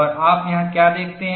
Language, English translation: Hindi, And what do you see here